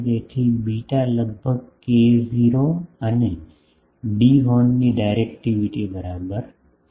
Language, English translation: Gujarati, So, beta is almost equal to k 0 and D the directivity of the horn